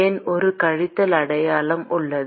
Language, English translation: Tamil, Why is there a minus sign